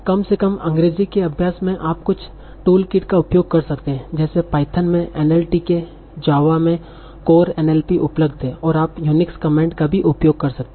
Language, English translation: Hindi, In practice, at least for English, you can use certain toolkets that are available like NLTK in Python, CoreNLP in Java, and you can also use some Unix commands